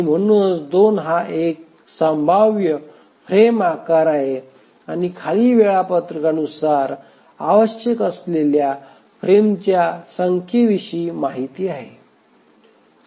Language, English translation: Marathi, So 2 is a possible frame size but what about the number of frames that are required by the schedule